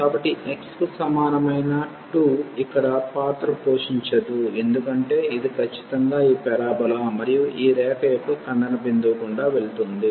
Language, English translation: Telugu, So, x is equal to 2 does not play a role here because this is precisely passing through this point of intersection of this parabola and this line